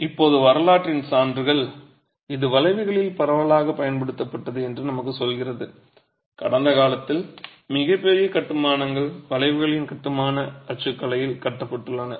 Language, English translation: Tamil, Now, evidence from history tells us that this is widely used in arches and most massive constructions in the past have been constructed on the structural typology of arches